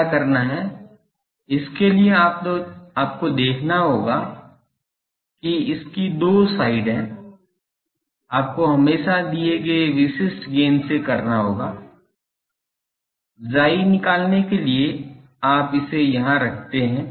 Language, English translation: Hindi, What, you will have to do this has 2 sides, you will have to always check suppose from a given specific gain you find chi put it here